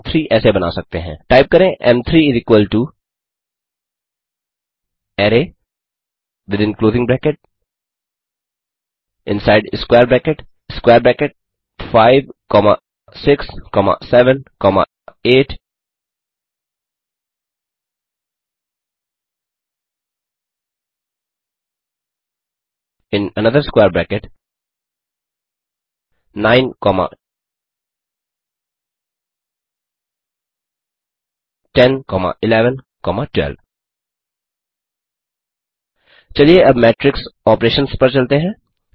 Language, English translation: Hindi, m3 can be created as, Type m3 = array within closing bracket inside square bracket square bracket 5 comma 6 comma 7 comma 8 comma in another square bracket 9 comma 10 comma 11 comma 12 Let us now move to matrix operations